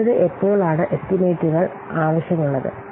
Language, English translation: Malayalam, So, next is when are the estimates required